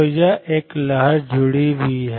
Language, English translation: Hindi, So, there is a wave associated